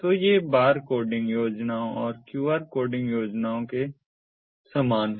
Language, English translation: Hindi, so these very similar to the bar coding schemes and qr coding schemes